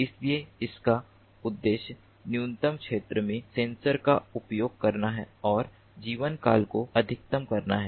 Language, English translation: Hindi, so the objective is to use a minimum number of sensors and maximize the network lifetime